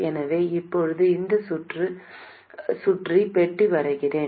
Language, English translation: Tamil, So now let me draw a box around this circuit